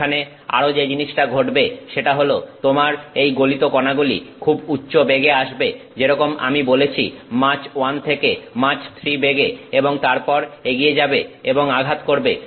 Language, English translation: Bengali, The thing that is happening there is also that you have this molten particle that is coming at very high velocities like, I said Mach 1 to Mach 3 and then goes and hits